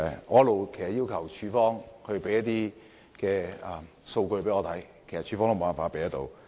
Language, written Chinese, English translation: Cantonese, 我一直要求局方提供數據，但局方也無法提供。, I have been asking the Administration to provide relevant data but in vain